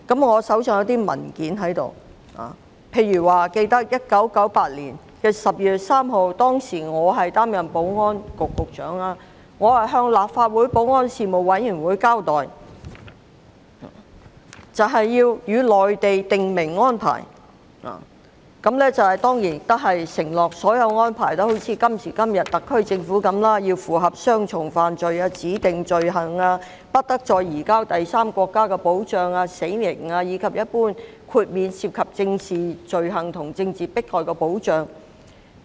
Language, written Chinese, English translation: Cantonese, 我手邊有些文件，記得在1998年12月3日，當時我作為保安局局長，向立法會保安事務委員會交代與內地訂明安排，當然承諾所有安排也一如今天特區政府的一樣，要符合雙重犯罪、指定罪行、不得再移交第三國家的保障、死刑，以及一般豁免涉及政治罪行和政治迫害的保障。, I have some documents on hand . I recall that on 3 December 1998 I gave an account in my capacity as the then Secretary for Security to the Panel on Security of the Legislative Council on the conclusion of an arrangement with the Mainland pledging that any arrangement would certainly be subject to such safeguards as double criminality speciality protection against surrender to a third country death penalty and the normal exclusion in relation to political offences and political prejudice just as what the SAR Government has now proposed